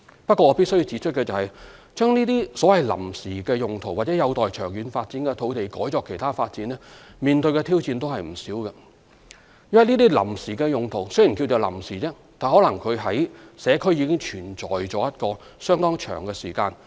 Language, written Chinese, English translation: Cantonese, 不過，我必須指出，把這些有臨時用途或有待長遠發展的土地改作其他發展，面對的挑戰也不少，因為這些臨時用途雖屬臨時，但可能在社區已存在一段相當長的時間。, However I have to point out that using these sites which have been put to temporary uses or are pending long term use for other development purposes will also pose a lot of challenges because though of a temporary nature the sites may have been occupied by different uses for a rather long period of time